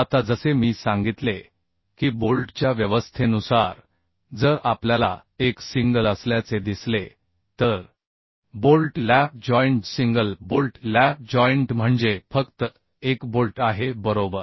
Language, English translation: Marathi, Now, as I told that, depending upon the arrangement of bolts we have, if we see that one is single bolted lap joint, single bolted lap joint means only one bolt is there right